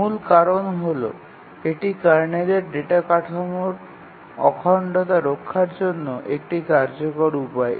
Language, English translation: Bengali, The main reason is that it is an efficient way to preserve the integrity of the kernel data structure